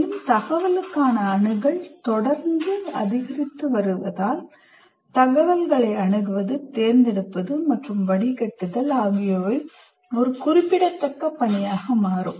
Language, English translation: Tamil, And also as access to information is continuously increasing, the process of accessing, choosing, and distilling information will become a major task